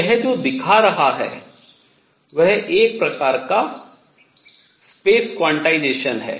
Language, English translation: Hindi, So, what this is showing is some sort of space quantization